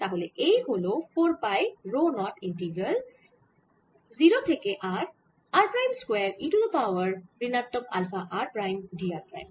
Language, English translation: Bengali, so this is four pi rho zero integral r prime square e raise to minus alpha r prime d r prime from zero small r